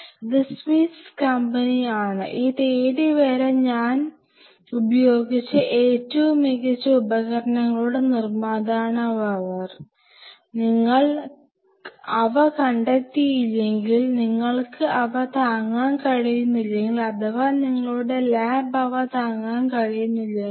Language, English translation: Malayalam, This is Swiss company they are the maker of some of the finest tools I have ever used till this date, and if you do not find them and if you cannot afford those ones your lab is not ready to afford those ones